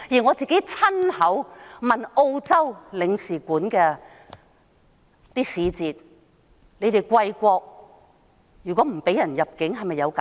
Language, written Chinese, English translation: Cantonese, 我也親自向澳洲領事館的使節詢問，如果貴國不批准某人入境，會否給予解釋？, I have also consulted the Australian consulate in person to find out if an explanation would be given if the entry of a person was denied